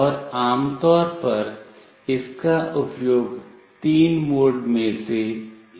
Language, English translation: Hindi, And typically it is used in one of three modes